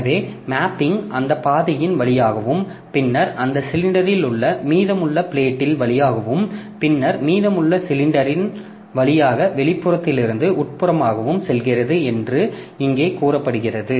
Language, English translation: Tamil, So, this is what is told here that mapping proceeds in order through that track and then rest of the tracks on that in that cylinder and then through the rest of the cylinders from outermost to innermost